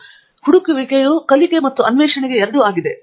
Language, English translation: Kannada, So the searching is for both learning and for discovering